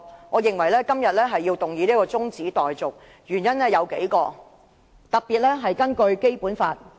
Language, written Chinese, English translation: Cantonese, 我認為今天要提出中止待續議案，原因有數個，特別是與《基本法》有關。, I think there are a number of reasons for proposing an adjournment motion today particularly in relation to the Basic Law